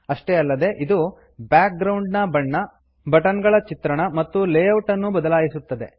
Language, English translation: Kannada, Changes the background colors, the look of the buttons and the layout